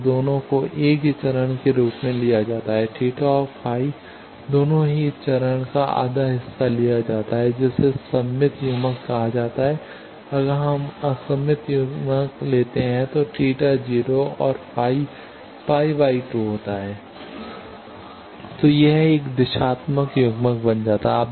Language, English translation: Hindi, So, both of them are taken as same phase, theta and phi both are taken half of this phase that is pi by 2 that is called symmetrical coupler, if we take antisymmetrical coupler then theta is taken 0 and phi is taken phi